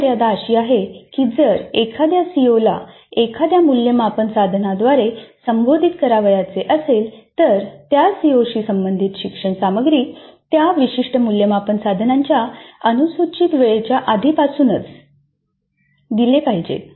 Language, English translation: Marathi, So the only constraint is that if a CO is to be addressed by an assessment instrument, the instructional material related to that COO must already have been uncovered, must have been discussed in the class and completed before the scheduled time of that particular assessment instrument